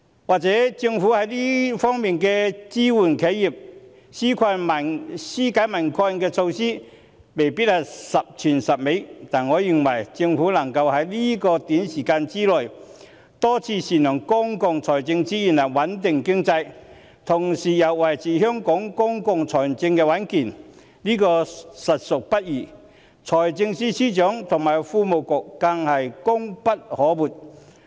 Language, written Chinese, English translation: Cantonese, 或許政府在支援企業及紓解民困措施方面未必十全十美，但我認為政府能夠在這短時間內多次善用公共財政資源來穩定經濟，同時又維持香港公共財政的穩健，實屬不易，財政司司長和財經事務及庫務局更功不可沒。, The measures adopted by the Government to support enterprises and relieve peoples burden may not be impeccable but I think it is indeed not easy for the Government to make effective use of public financial resources to stabilize the economy multiple times within a short period while safeguarding the stability of the public finances of Hong Kong as well . Credit should be particularly given to the Financial Secretary and the Financial Services and the Treasury Bureau